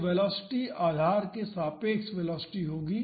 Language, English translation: Hindi, So, the velocity would be the velocity relative to the base